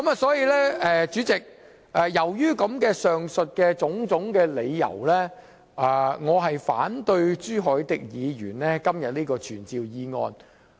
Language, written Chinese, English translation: Cantonese, 所以，主席，由於上述種種理由，我反對朱凱廸議員今天的傳召議案。, Therefore President due to the reasons mentioned above I oppose the motion to summon that is proposed by Mr CHU Hoi - dick today